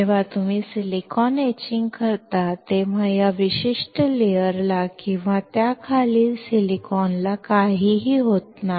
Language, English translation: Marathi, When you etch silicon, nothing happens to this particular layer or the silicon below it